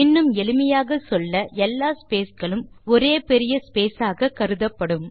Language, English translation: Tamil, In simple words, all the spaces are treated as one big space